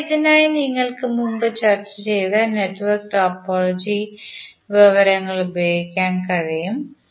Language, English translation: Malayalam, So for this you can utilize the network topology information which we discussed previously